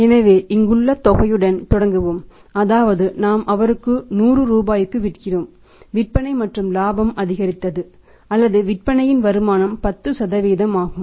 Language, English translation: Tamil, So, we will start with the amount and amount here is that is how much amount we are selling 100 rupees to him sales and profitability increased or return on the sales is 10%